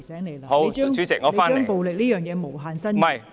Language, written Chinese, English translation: Cantonese, 你不應把暴力這個觀點無限伸延。, You should not expand your opinion on violence infinitely